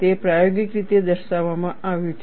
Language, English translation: Gujarati, It has been experimentally demonstrated